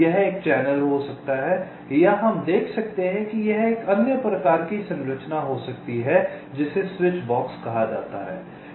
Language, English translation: Hindi, it can be a channel or, we shall see, it can be another kind of a structure called a switch box